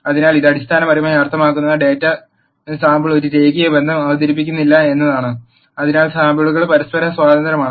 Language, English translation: Malayalam, So, this, this basically means that the data sampling does not present a linear relationship; that is the samples are independent of each other